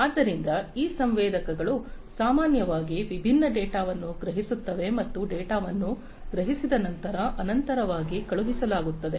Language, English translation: Kannada, So, these sensors typically sense lot of different data and this data are sent continuously after they are being sensed